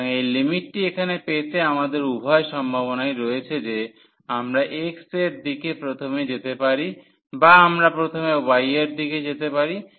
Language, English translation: Bengali, So, to get this these limits here again we have both the possibilities we can go first in the direction of x or we can go in the direction of y first